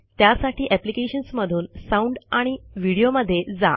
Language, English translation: Marathi, For that go to Applications gt Sound amp Video